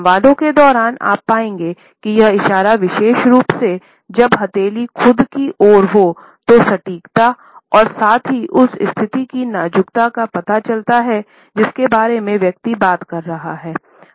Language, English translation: Hindi, During the dialogues, you would find that this precision gesture particularly, when the palm is facing towards ourselves suggests accuracy, precision as well as delicacy of the situation about which the person is talking